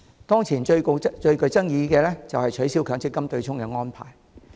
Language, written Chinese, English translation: Cantonese, 當前最具爭議的就是取消強積金的對沖安排。, At present the most controversial issue is the abolition of the offsetting arrangement under the MPF System